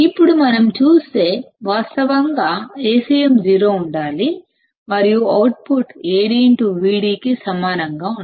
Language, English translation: Telugu, Now if we see; ideally A cm must be 0 and output should be equal to Ad intoVd only